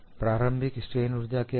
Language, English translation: Hindi, What is the initial strain energy